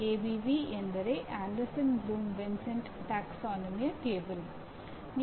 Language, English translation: Kannada, ABV we are calling it Anderson Bloom Vincenti taxonomy table